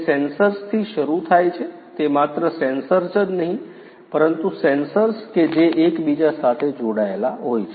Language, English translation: Gujarati, It starts with the sensors not just the sensors the sensors which are connected inter connected with one another